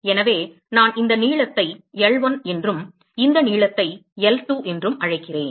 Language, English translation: Tamil, So, supposing I call this length as L1, and this length as L2